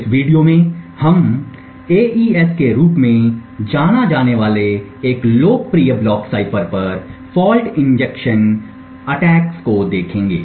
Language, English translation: Hindi, In this video we would look at fault injection attacks on a popular block cipher known as AES